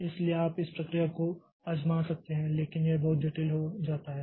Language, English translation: Hindi, So, so if you can try out this process but this becomes very complex